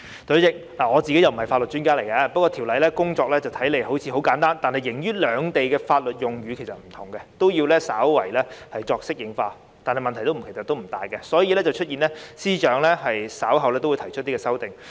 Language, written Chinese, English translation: Cantonese, 代理主席，我不是法律專家，《條例草案》的工作看似簡單，但礙於兩地的法律用語不同，都要稍為作出適應，但問題並不大，所以就出現了司長稍後提出的修正案。, an average of 4 000 cases per year . Deputy President I am not a legal expert . The work related to the Bill looks simple yet since the legal terms used in Hong Kong and the Mainland are different slight adaption is needed but it is not a big problem and that is why there are amendments to be put forward by the Secretary for Justice later